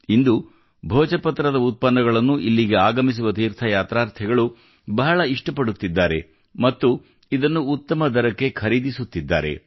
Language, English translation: Kannada, Today, the products of Bhojpatra are very much liked by the pilgrims coming here and are also buying it at good prices